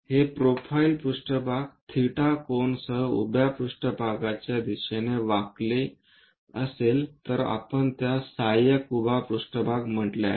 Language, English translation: Marathi, If this profile plane tilted in the direction of vertical plane with an angle theta, we call that one as auxiliary vertical plane